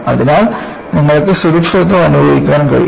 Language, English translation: Malayalam, So, you can feel safe